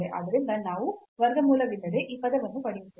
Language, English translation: Kannada, So, we will get this term without square root